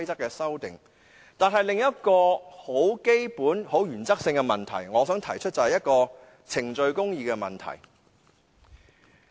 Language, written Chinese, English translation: Cantonese, 但是，我想提出另一個基本及原則性的問題，就是程序公義。, However I wish to put forth another fundamental matter of principle that is procedural justice